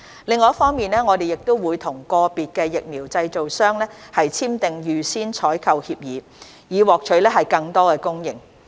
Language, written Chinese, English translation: Cantonese, 另一方面，我們會與個別疫苗製造商簽訂預先採購協議，以獲取更多供應。, On the other hand we will enter into advance purchase agreements APAs with individual vaccine developers with a view to procuring additional supplies